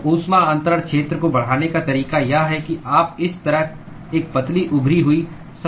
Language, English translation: Hindi, So, the way to increase the heat transfer area is you create a thin protruding surfaces like this